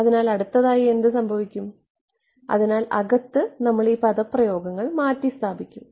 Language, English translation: Malayalam, So, then what happens next, so we will substitute these expressions inside